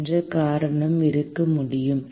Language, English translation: Tamil, What could be the reason